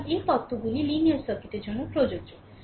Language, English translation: Bengali, So, these theorems are applicable to linear circuit